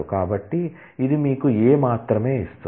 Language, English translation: Telugu, So, it will give you A only